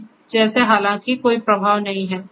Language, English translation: Hindi, So, like right now although the there is no flow